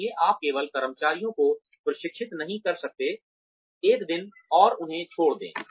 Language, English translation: Hindi, So, you cannot, just train employees, one day and leave them